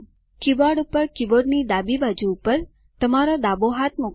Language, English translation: Gujarati, On your keyboard place your left hand, on the left side of the keyboard